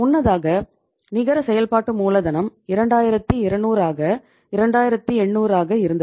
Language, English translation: Tamil, Earlier the net working capital was 2200 means 2800